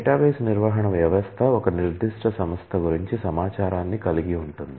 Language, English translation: Telugu, A database management system contains information about a particular enterprise